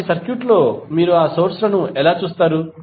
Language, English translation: Telugu, So, how will you see those sources in the circuit